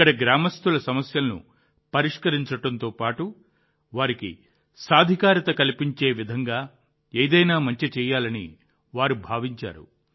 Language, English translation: Telugu, These people wanted to do something that would solve the problems of the villagers here and simultaneously empower them